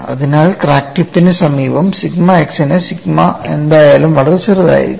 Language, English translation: Malayalam, So, near the crack tip sigma x minus, whatever the sigma would still be very small